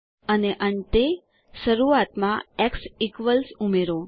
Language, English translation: Gujarati, And finally add x equals to the beginning